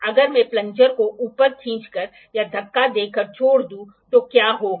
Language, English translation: Hindi, If I pull or push the plunger above and leave it, what happens